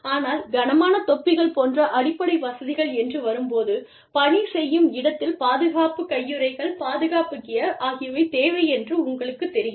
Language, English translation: Tamil, But, when it comes to basic amenities, like conditions of employment, having hardhats on the shop floor, having you know, protective gloves, protective gear on the shop floor